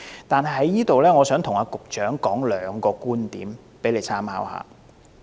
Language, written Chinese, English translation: Cantonese, 但是，我想在此跟局長提出兩個觀點，以供參考。, However I would like to put forward two viewpoints to the Secretary for his reference